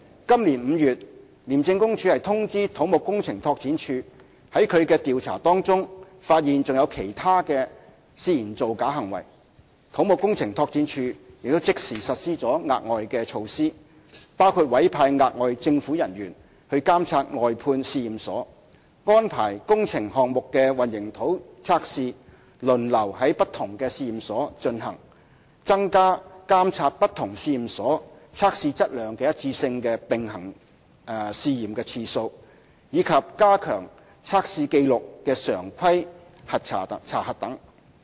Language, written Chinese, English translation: Cantonese, 今年5月廉署通知土木工程拓展署在其調查中發現有其他涉嫌造假行為，土木工程拓展署即時實施了額外措施，包括委派額外政府人員監察外判試驗所、安排工程項目的混凝土測試輪流在不同試驗所進行、增加監察不同試驗所測試質量一致性的"並行試驗"次數，以及加強測試紀錄的常規查核等。, Since ICAC notified CEDD in May this year that the formers investigation involves falsification of reports CEDD has immediately implemented additional measures . This includes deployment of additional government staff to monitor outsourced laboratories arrangement of different laboratories to carry out concrete tests for works projects on a rotational basis increasing the number of parallel testing to test the consistency of the performance of different laboratories and strengthening of routine auditing check of test records